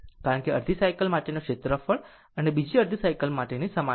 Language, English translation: Gujarati, Because, area for half cycle and another half cycle remain same